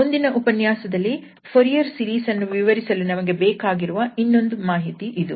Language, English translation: Kannada, So, that is another information which we need here for explaining the Fourier series, in the next lecture indeed